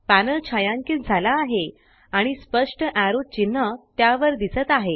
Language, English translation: Marathi, The panel is shaded and a clear arrow sign appears over it